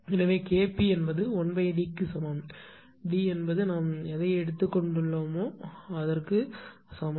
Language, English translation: Tamil, So, K p is equal to 1 upon D; so, D is equal to whatever we have got right